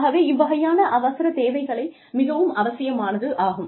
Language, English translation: Tamil, So, you know, those kinds of emergency services are absolutely required